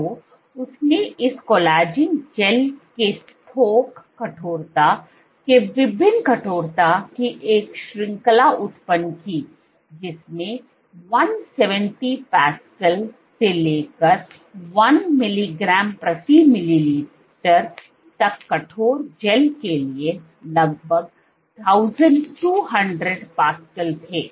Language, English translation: Hindi, So, she generated a range of different stiffness of the bulk stiffness of this collagen gel ranging from 170 pascals for this 1 mg per ml to nearly 1200 pascals for the stiff gels